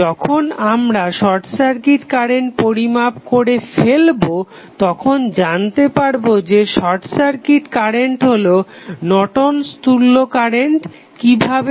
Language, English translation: Bengali, Now, when we find out the short circuit current we will come to know that short circuit current is nothing but the Norton's current, how